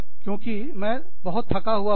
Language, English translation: Hindi, Because, i am so tired